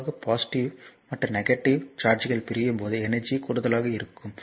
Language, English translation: Tamil, So, actually whenever positive and negative charges are separated energy actually is expanded